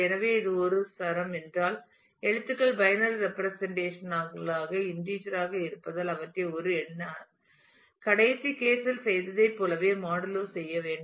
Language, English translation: Tamil, So, if it is a string then you treat the characters as they are binary representations as integer do some modulo a number exactly what we did in the last case